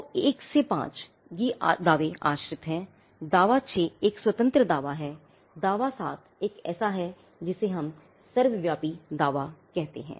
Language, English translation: Hindi, So, 1 to 5, it is again dependent; claim 6 as an independent claim, claim 7 is an what we call an Omnibus claim